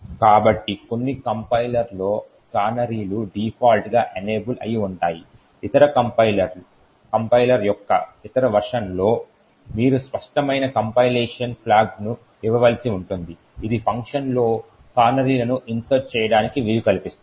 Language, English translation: Telugu, So, in some compilers the canaries are enable by default while in other compiler, other versions of the compiler you would have to give an explicit compilation flag that would enable canaries to be inserted within functions